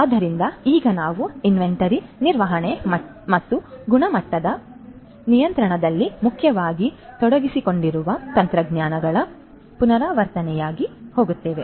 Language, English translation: Kannada, So, now very quickly we will go through as a recap of the technologies that are involved primarily in inventory management and quality control